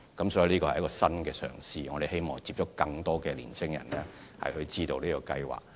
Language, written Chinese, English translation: Cantonese, 這是政府的一項新嘗試，希望接觸更多年青人，讓他們知道這項計劃。, This is a new attempt made by the Government to get in touch with more young people to let them know the scheme